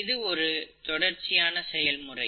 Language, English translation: Tamil, So it is a continuous process